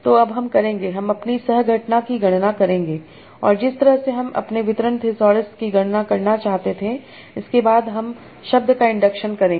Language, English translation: Hindi, So now I will do, I will compute my coquence and whatever way I want to compute my distributional this alls, then I will do words and induction